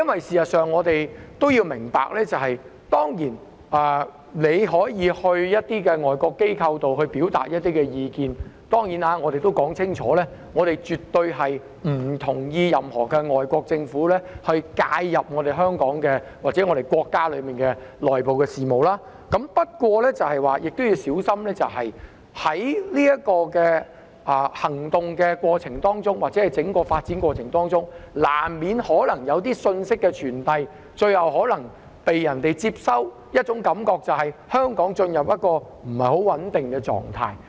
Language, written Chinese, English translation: Cantonese, 事實上，我們明白示威者當然可以向外國機構表達意見——我亦須清楚表明，我們絕對不認同任何外國政府介入香港或國家的內部事務——不過，我們要小心在這個行動或整個發展的過程中，可能難免傳遞了某些信息，最後予人的感覺可能是香港進入了一個不太穩定的狀態。, In fact we understand that protesters are certainly entitled to expressing their views to foreign organizations―I also have to make it clear that we absolutely do not agree with any foreign government meddling in the internal affairs of Hong Kong or our country―but we have to be cautious against this course of action or the whole process inevitably conveying certain messages and in the end the impression may be one of Hong Kong having developing into a rather unstable condition